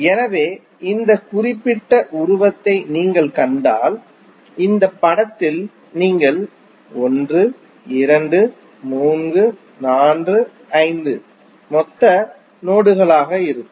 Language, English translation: Tamil, So, if you see this particular figure, in this figure you will see 1, 2, 3, 4, 5 are the total nodes